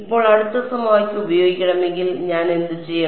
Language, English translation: Malayalam, Now, if I wanted to use the next equation what should I do